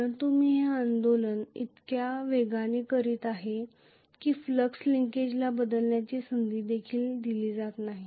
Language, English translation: Marathi, But I am doing the movement so fast, that the flux linkage is not even given a chance to change